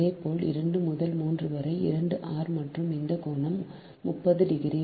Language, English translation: Tamil, similarly, two to three, also two r, and this angle is thirty degree right